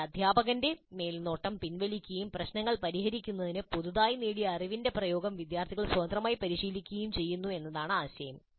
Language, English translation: Malayalam, But the idea is that the teachers' supervision is with known and students independently practice the application of the newly acquired knowledge to solve problems